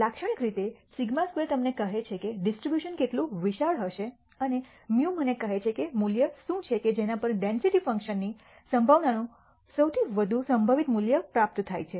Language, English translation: Gujarati, Typically sigma square tells you how wide the distribution will be and mu tells me what the value is at which the density function attains the highest probability most probable value